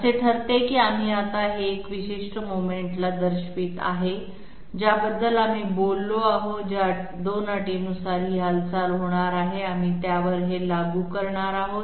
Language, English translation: Marathi, It leads to this that we are now going to operate this particular movement that we have talked about operated by 2 conditions that we are going to apply on it